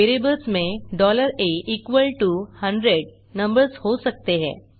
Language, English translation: Hindi, Variables can contain numbers $a=100